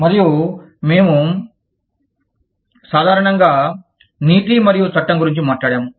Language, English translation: Telugu, And, we have talked about, ethics, and the law, in general